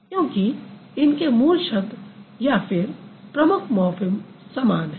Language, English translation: Hindi, Because the root word or the main morphem that remains same in both the cases